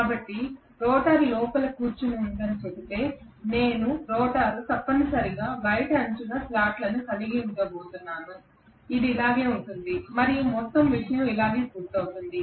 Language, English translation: Telugu, So if I say the rotor is sitting inside I am going to have the rotor essentially having slots in the outer periphery somewhat like this, this is how it is going to be and the entire thing is completed like this